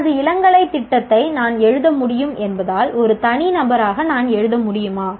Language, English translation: Tamil, As an individual can I write because I know my undergraduate program can I write